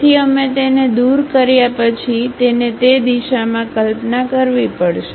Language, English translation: Gujarati, So, we have after removing that we have to visualize it in that direction